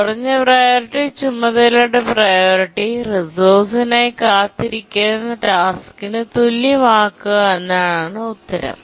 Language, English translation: Malayalam, The low priority task's priority is made equal to the highest priority task that is waiting for the resource